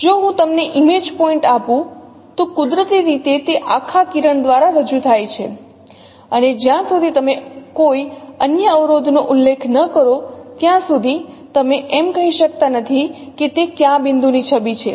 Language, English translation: Gujarati, If I give you the image point, naturally it is represented by the whole ray and it is, unless you specify some other constraint, you cannot say that it is image of which point